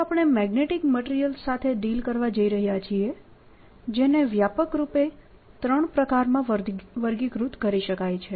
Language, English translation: Gujarati, so we are going to deal with magnetic materials, which can be broadly classified into three kinds